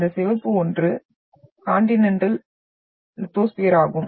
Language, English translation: Tamil, And this red one is your Continental lithosphere